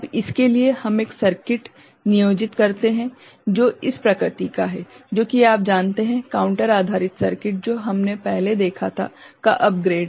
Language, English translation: Hindi, Now, for this we employ a circuit which is of this nature, which is a you know, upgrade of the counter based circuit that we had seen before